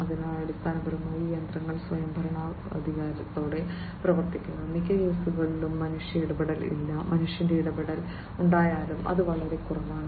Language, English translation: Malayalam, So, basically these machines are run autonomously and in most cases basically, you know there is no human intervention; and even if there is human intervention, it is minimal